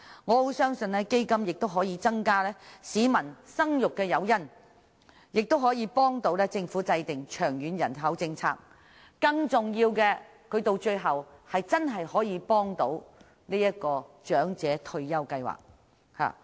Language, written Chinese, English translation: Cantonese, 我亦相信基金可以成為市民生育的誘因，有助政府制訂長遠人口政策，而更重要的是真正可以幫助長者退休計劃。, I also believe that the fund will be an incentive for people to have more children which will help the Government formulate a long - term population policy . More importantly it can truly help finance the retirement scheme of the elderly